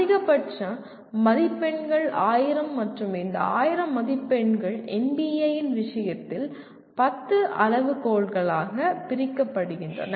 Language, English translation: Tamil, The maximum marks are 1000 and these 1000 marks are divided into in case of NBA about 10 criteria